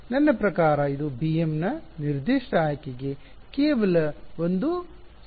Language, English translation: Kannada, I mean this is just one equation for a given choice of b m